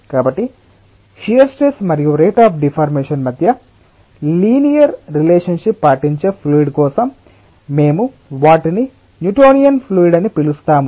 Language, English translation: Telugu, so for those fluids which obey the linear relationship between the shear stress and the rate of deformation, we call those as newtonian fluids